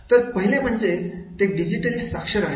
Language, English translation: Marathi, So, one is the digital literate